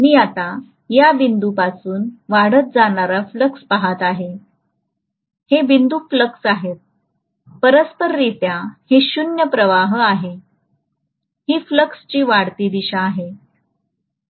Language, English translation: Marathi, I am looking at now increasing flux from this point, this is zero flux, correspondingly this is zero flux, this is the increasing direction of flux